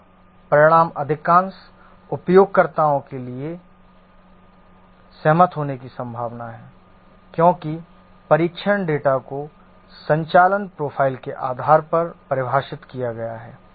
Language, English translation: Hindi, Here the result is likely to be agreeable to most of the users because the test data have been defined based on the operational profile